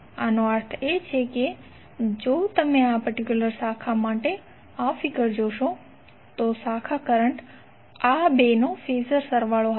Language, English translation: Gujarati, That means if you see this figure for this particular branch, the branch current would be phasor sum of these two